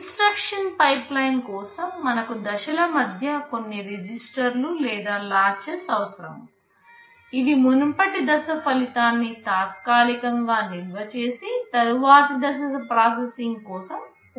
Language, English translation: Telugu, For a instruction pipeline also we need some registers or latches in between the stages, which will be temporary storing the result of the previous stage, which will be used by the next stage for processing